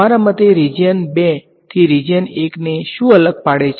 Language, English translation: Gujarati, What differentiates region 1 from region 2 in your opinion